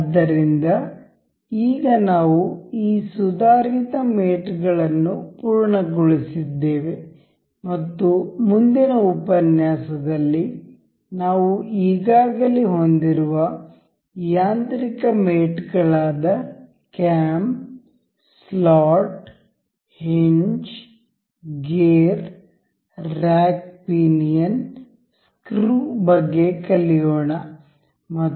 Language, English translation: Kannada, So, now, we have completed this advanced mates and in the next lecture, we will go about learning this mechanical mates that are cam, slot, hinge, gear, rack pinion, screw and we will we already have